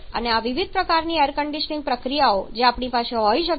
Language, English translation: Gujarati, These are different kind of air conditioning processes